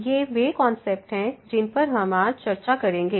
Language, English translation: Hindi, So, these are the concepts we will be covering today